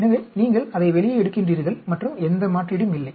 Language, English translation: Tamil, So, you take it out and there is no replacement